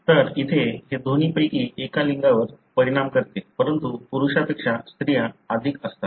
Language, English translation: Marathi, So here, it affects either sex, but more females than males